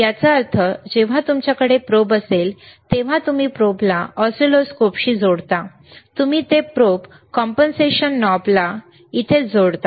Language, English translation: Marathi, tThat means, when you have the probe, you connect the probe to the oscilloscope, you will connect it to the probe compensation knob it is right here